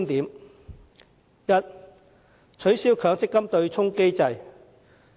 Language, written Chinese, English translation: Cantonese, 第一，取消強制性公積金對沖機制。, First abolishing the Mandatory Provident Fund MPF offsetting mechanism